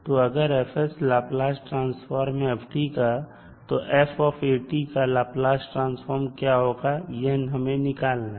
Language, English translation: Hindi, So if fs is the Laplace transform of ft, then for Laplace of f of at, we need to find out